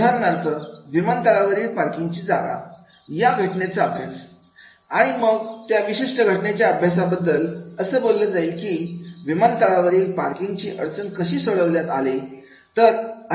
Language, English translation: Marathi, For example, the parking space at airport, that particular case study and then how that particular case study talks about at airport how parking problem has been solved